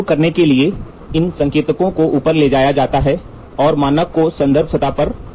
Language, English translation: Hindi, To start up these, indicators is moved up and the standard is placed on the reference surface